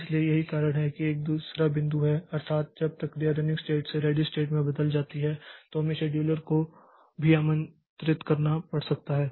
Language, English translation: Hindi, So, that is why that is the second point that is when it process switches from running state to ready state then also we may need to invoke the scheduler